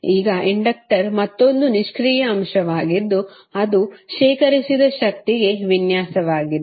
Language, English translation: Kannada, Now, inductor is another passive element which is design to stored energy